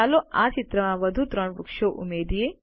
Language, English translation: Gujarati, Lets add three more trees to this picture